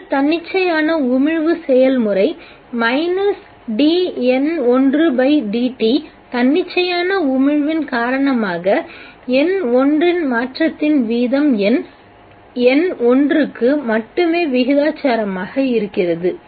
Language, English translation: Tamil, The other spontaneous emission process minus d n1 by d t, that is the rate of change of n1 due to spontaneous emission is proportional only to the number n1